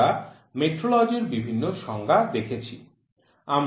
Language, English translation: Bengali, So, there are certain definitions for metrology